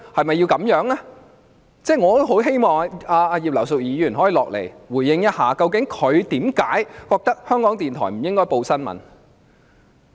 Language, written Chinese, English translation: Cantonese, 我也很希望葉議員可以回應，究竟她為何認為港台不應該報道新聞。, I very much hope that Mrs IP can respond as to why she holds that RTHK should not do news reporting